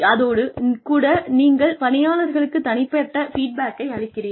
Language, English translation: Tamil, And, you give people individual feedback